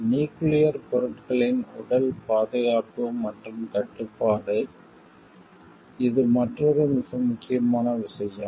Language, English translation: Tamil, Physical protection and control of nuclear materials, this is another important very very important thing